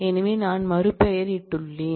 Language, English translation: Tamil, So, I have done a rename